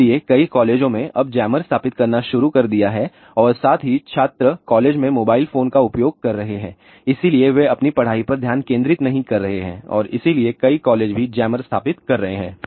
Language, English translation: Hindi, So, many colleges now have started installing jammers and also students are using mobile phones in the colleges so, they are not concentrating on their studies and hence many colleges are also installing jammers